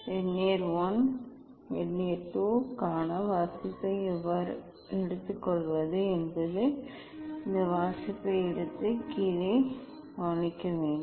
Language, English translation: Tamil, how to take reading for Vernier I and Vernier II that we should take this reading and note down